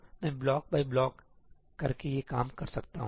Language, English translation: Hindi, So, I can do these block by block